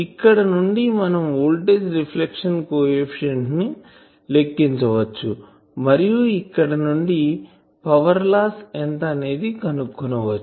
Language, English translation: Telugu, So, from there we can calculate voltage reflection coefficient and from there we can find what is the power loss